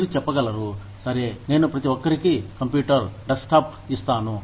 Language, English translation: Telugu, You can say, okay, I will give everybody, a computer, a desktop